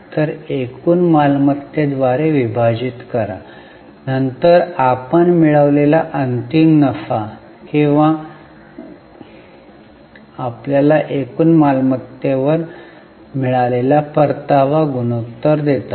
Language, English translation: Marathi, So, the final profits which you earn or profit after tax divided by total assets give you return ratio on total assets